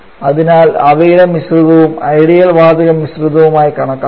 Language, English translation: Malayalam, And therefore their mixture also should be treated as an ideal gas mixture